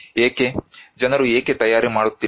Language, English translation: Kannada, Why; why people are not preparing